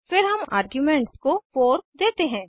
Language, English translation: Hindi, Then we pass an argument as 4